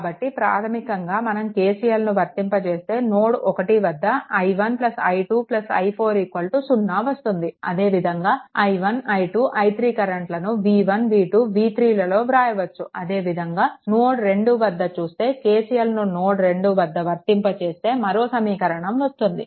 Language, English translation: Telugu, So, basically if you apply the KCL then i 1 plus i 2 plus i 4 is equal to 0, this is at node 1 and all i 1, i 2, i 3, easily, you can know in terms of v 1, v 2, v 3, you can substitute, similarly, at node 2, if you apply node 2, if you apply KCL